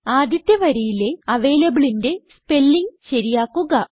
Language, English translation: Malayalam, Correct the spelling of avalable in the first line